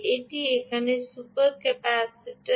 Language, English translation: Bengali, right, this is super capacitor here